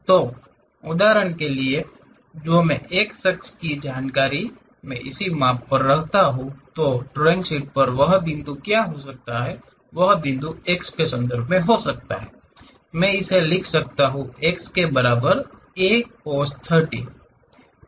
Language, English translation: Hindi, So, for example, that x information if I am measuring it; what might be that point on the drawing sheet, this x can be in terms of, I can write it A cos 30 is equal to x